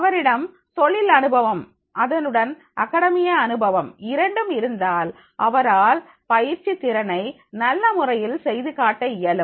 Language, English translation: Tamil, If the he is having the industrial experience and with the academic experience, he will be able to demonstrate his training skills in a much better way